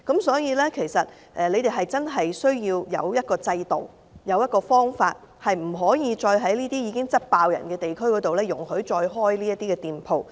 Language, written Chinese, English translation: Cantonese, 所以，政府真的需要有制度或方法，不能再容許在這些已經十分多人的地區開設這些店鋪。, Therefore the Government really needs a system or method and stop permitting such shops to be opened in these already crowded districts